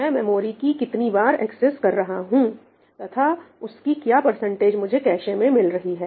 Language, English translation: Hindi, How many accesses was I making and what percentage of those were found in the cache